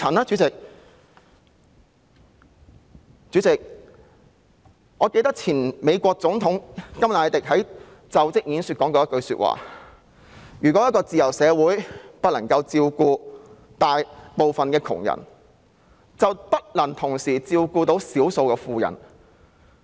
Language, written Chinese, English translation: Cantonese, 主席，記得美國前總統甘迺迪曾在其就職演說中說出以下一句話：如果一個自由社會不能照顧大部分窮人，便不能同時照顧少數富人。, Chairman the former President of the United States John KENNEDY has once said in his inaugural address that if a free society cannot help the many who are poor it cannot save a few who are rich